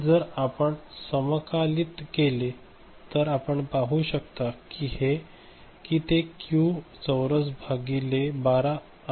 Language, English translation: Marathi, And if you integrate, then you can see that it is q square by 12